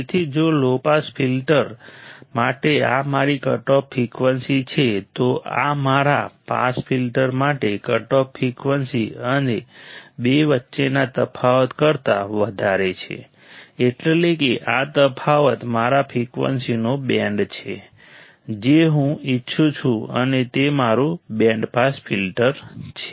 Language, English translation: Gujarati, So, if this is my cutoff frequency for low pass filter, this is higher than the cutoff frequency for my pass filter right and the difference between two; that is this difference is my band of frequencies, that I want to and it is my band pass filter